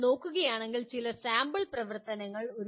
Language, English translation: Malayalam, Some sample activities if you look at